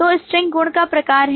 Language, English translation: Hindi, So string is the type of the property